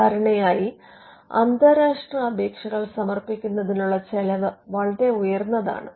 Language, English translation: Malayalam, Usually, the cost of filing international applications is very high